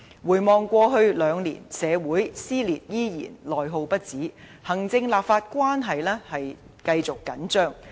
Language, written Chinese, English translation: Cantonese, 回望過去兩年，社會撕裂依然，內耗不止，行政立法關係繼續緊張。, Looking back at the past two years we could still see social dissension unceasing internal attrition and also persistent tension in executive - legislature relationship